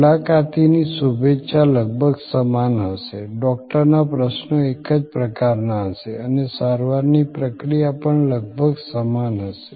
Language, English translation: Gujarati, The greeting from the receptionist will be almost same, the Doctor’s questions will be of the same type and the flow of treatment will also be almost similar